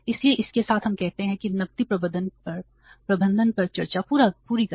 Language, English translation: Hindi, So, I will stop here with the discussion on the cash management